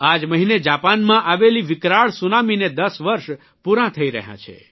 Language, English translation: Gujarati, This month it is going to be 10 years since the horrifying tsunami that hit Japan